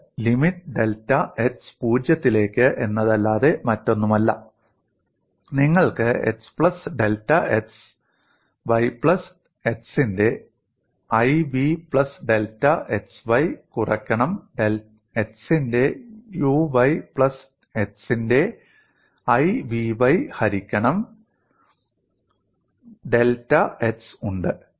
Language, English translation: Malayalam, You have to calculate u of x plus delta x comma y plus iv of x plus delta x comma y, minus u of x comma y plus iv of x comma y divided by delta x